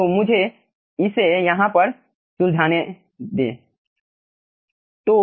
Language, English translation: Hindi, so let me do it over here